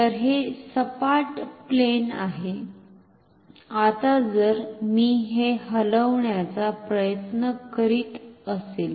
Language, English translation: Marathi, So, it is a flat plane, now if I am trying to move it